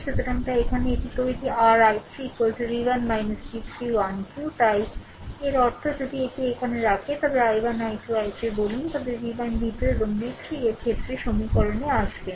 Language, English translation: Bengali, So, ah making it here therefore, your i 3 is equal to v 1 minus v 3 by 12 right so; that means, if you say it i 1 i 2 i 3 if you put it here, then you will get into equation in terms of v 1 v 2 and v 3